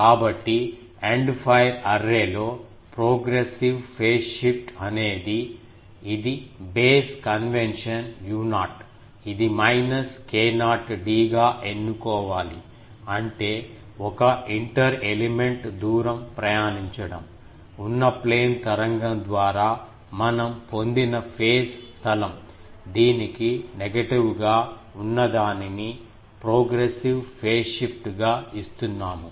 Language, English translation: Telugu, So, in the End fire array, the progressive phase shift which was our it was base convention u not that will have to choose as minus k not d; that means, the to travel an inter element distance, the phase space acquired by a plane wave that we are, negative of that we are giving as the progressive phase shift